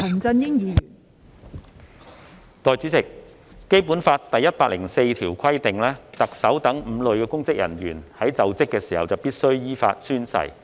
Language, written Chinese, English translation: Cantonese, 代理主席，《基本法》第一百零四條規定特首等5類公職人員在就職時必須依法宣誓。, Deputy President under Article 104 of the Basic Law five types of public officers including the Chief Executive are required to take an oath in accordance with the law upon assumption of office